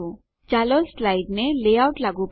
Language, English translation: Gujarati, Lets apply a layout to a slide